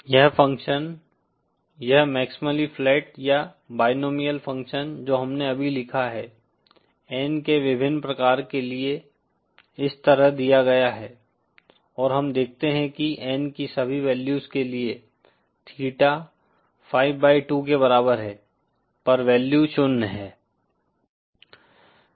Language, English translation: Hindi, This function this maximally flat or binomial function that we just wrote for various of N is given like this and we see that for all values of N at theta is equal to 5 by 2, the value is zero